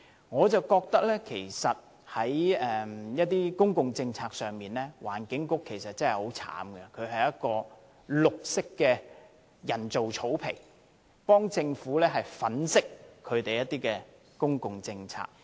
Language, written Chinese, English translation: Cantonese, 我覺得在一些公共政策上，環境局其實真的很慘，它好像是一塊綠色的人造草皮，為政府粉飾公共政策。, I think the Environment Bureau is really quite miserable; it is just like a piece of green artificial turf to cover up the blunders of public policies for the Government